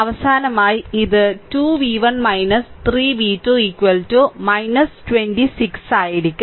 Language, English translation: Malayalam, So, finally, it will be 2 v 1 minus 3 v 2 is equal to minus 26